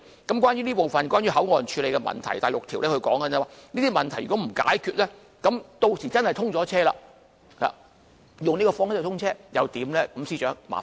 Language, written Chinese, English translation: Cantonese, 有關這部分，即關於口岸處理的問題，在第六條便指出，如果問題不獲解決，屆時若以這方式通車後，又該怎辦呢？, Regarding the management of issues relating to the port area the sixth question asks what will happen if the above questions remain unsolved when XRL commences service under the current proposal?